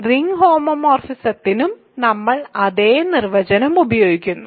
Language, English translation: Malayalam, So, we use the same definition for ring homomorphisms